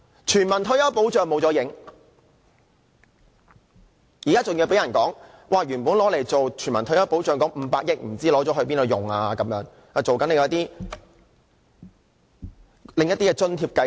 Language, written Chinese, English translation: Cantonese, 全民退休保障失去蹤影，更有指原本用作全民退休保障的500億元不知用了做甚麼，好像拿來推出另一些津貼計劃。, We have lost sight of its universal retirement protection proposal . Rumour has it that the 50 billion reserved for universal retirement protection has been used on something else some sort of a subsidy scheme